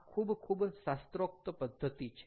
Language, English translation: Gujarati, this is a very, very classical method